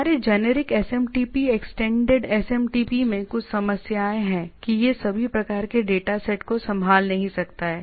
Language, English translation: Hindi, So, one is now there are some problems of in our generic SMTP extends SMTP that it cannot handle all sort of data set